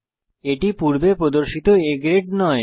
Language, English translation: Bengali, It is not A grade as it displayed before